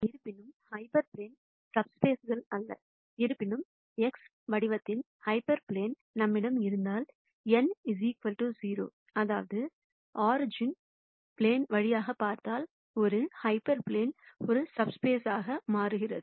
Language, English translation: Tamil, Hyperplanes in general are not subspaces, however, if we have hyper planes of the form X transpose n equal to 0; that is if the plane goes through the origin, then an hyper plane also becomes a subspace